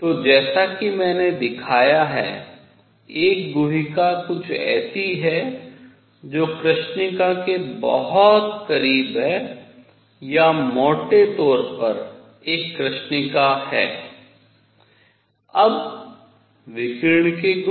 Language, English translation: Hindi, So, a cavity like the one that I have shown is something which is very very close to black body or roughly a black body; now properties of radiation